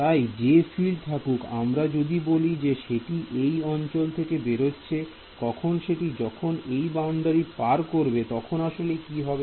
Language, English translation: Bengali, So, whatever field is let us say emanating from this domain when it encounters this boundary what should happen in real life